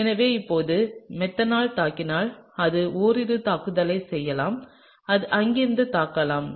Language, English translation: Tamil, And so now, if methanol attacks it can do a couple of attacks it can attack from here or it can attack from here, right